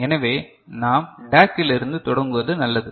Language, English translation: Tamil, So, it is better that we start from DAC right